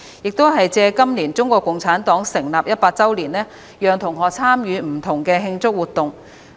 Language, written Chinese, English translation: Cantonese, 適逢今年是中國共產黨成立一百周年，我們會讓同學參與不同的慶祝活動。, As this year marks the centennial of CPC students will be given opportunities to participate in different celebration activities